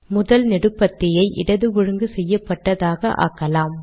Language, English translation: Tamil, Let us make the first column left aligned